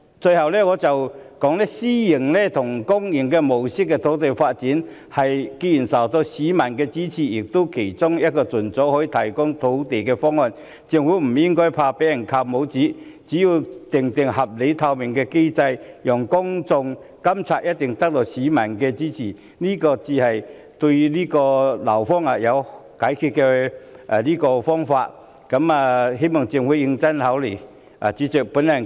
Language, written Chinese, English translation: Cantonese, 最後，以公私營合作模式發展土地既然受到市民支持，亦是其中一個可以盡早提供土地的方案，政府不應害怕被扣帽子，只要制訂合理和透明的機制讓公眾監察，一定會得到市民的支持，這才是解決樓荒之道，希望政府認真考慮。, Lastly as public - private collaboration for land development is well received by the public and it is also one of the options that can provide land as soon as possible the Government should not be afraid of being labelled . As long as a reasonable and transparent mechanism is put in place for public monitoring it will certainly win the support of the public . This is the solution to the problem of housing shortage and I hope that the Government will give it a serious thought